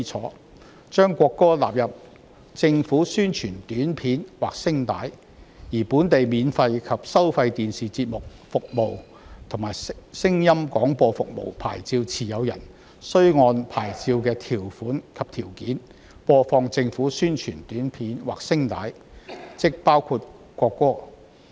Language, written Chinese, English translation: Cantonese, 《條例草案》將國歌納入政府宣傳短片或聲帶，而本地免費及收費電視節目服務和聲音廣播服務牌照持有人，須按牌照的條款及條件，播放政府宣傳短片或聲帶，即包括國歌。, The Bill requires the broadcast of the national anthem by an announcement in the public interest or material in the public interest API and domestic free television and radio broadcasters are required under the terms and conditions of a broadcasting licence to broadcast APIs including the national anthem